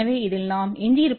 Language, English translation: Tamil, So, what we are left with this